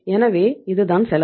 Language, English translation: Tamil, So this is the cost